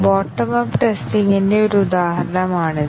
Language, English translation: Malayalam, This is an example of bottom up testing